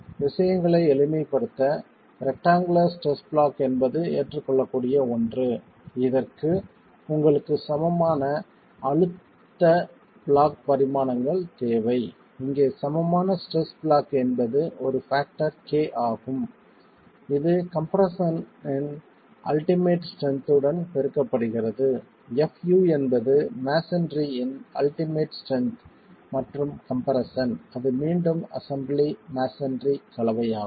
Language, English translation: Tamil, To simplify things, the rectangular stress block is something that is acceptable for which you need the equivalent stress block dimensions and here the equivalent stress block is a factor K that's multiplied into the ultimate strength in compression, FU is the ultimate strength and compression of the masonry